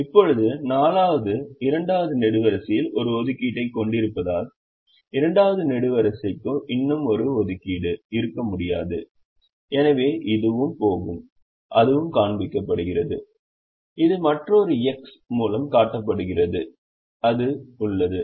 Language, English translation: Tamil, now, since the fourth has an assignment in the second column, the second column cannot have one more assignment and therefore this will also go and that is shown by